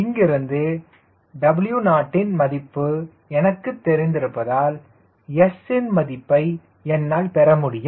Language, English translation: Tamil, and since i already know w naught from here i get the value of s